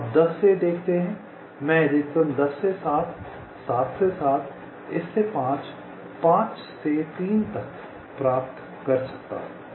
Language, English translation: Hindi, you see, from ten i can get a maximum path ten to seven, seven to this, this to five, five to three